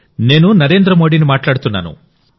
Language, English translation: Telugu, This is Narendra Modi speaking